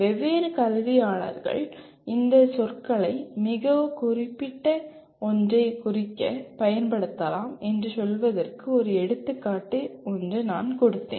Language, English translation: Tamil, I gave that as an example to say different educationists may use these words to mean something very specific